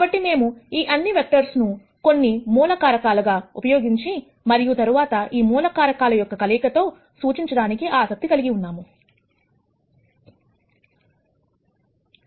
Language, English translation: Telugu, So, what we are interested in is, if we can represent all of these vectors using some basic elements and then some combination of these basic elements, is what we are interested in